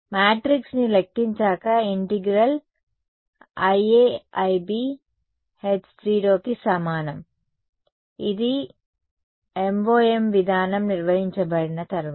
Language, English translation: Telugu, Once you calculate all the matrix I mean the integral I A I B is equal to h and 0, this is after the MoM procedure has been carried out